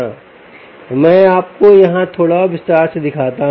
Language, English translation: Hindi, let us just go a little deeper into it